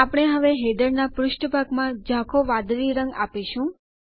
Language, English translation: Gujarati, We will now, give the header a light blue background